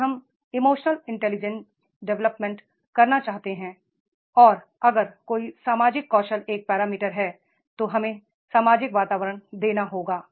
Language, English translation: Hindi, If we want to develop that emotional intelligence and when there is a social skill is the parameter, then we have to give that social environment